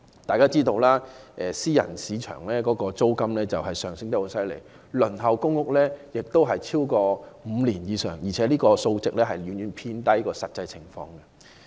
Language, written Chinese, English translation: Cantonese, 大家知道私人市場的租金升幅厲害，而公屋輪候時間已超過5年，這個數字遠遠低於實際情況。, We all know that the rent increase in private market is drastic . Moreover the wait time for public rental housing has extended to over five years and the wait will be much longer in actual cases